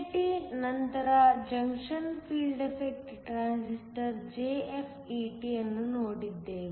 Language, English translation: Kannada, After BJT, we looked at a junction field effect transistor JFET